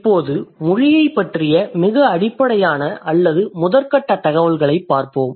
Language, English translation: Tamil, So, let's have a look at it, look at the, some very basic or preliminary information about language